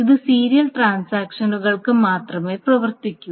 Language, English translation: Malayalam, So, this only works for serial transactions